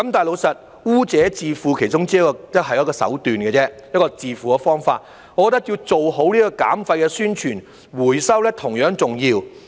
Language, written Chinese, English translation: Cantonese, 老實說，"污者自付"是其中一種手段，一種自付的方法，我認為要做好減廢的宣傳，回收是同樣重要的。, Frankly speaking polluter - pays is one of the approaches to have the cost borne by individuals . While it is necessary to better promote waste reduction I think recycling is equally important